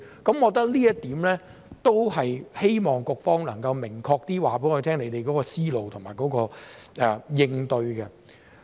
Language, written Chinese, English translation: Cantonese, 我覺得這一點都是希望局方能夠明確說出你們的思路及應對。, I think this is a point regarding which we hope the Bureau can clearly state its thinking and response